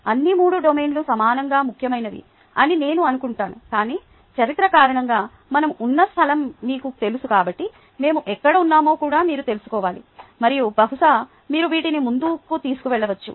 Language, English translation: Telugu, i think all three domains are equally ah important, but because of the history, because of the ah place where we are, ah, you know, you also need to know where we are and then probably you can take these forward